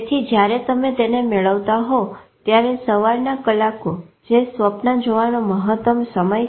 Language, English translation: Gujarati, So when you are getting to the morning hours that is the maximum time of dreaming